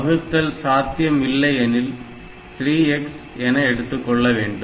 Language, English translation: Tamil, So, then if it is not then I have to try with 3 x